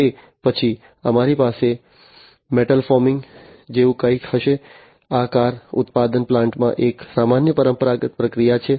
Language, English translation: Gujarati, Then thereafter, we will have something like metal foaming, these are this is a typical traditional process in a car manufacturing plant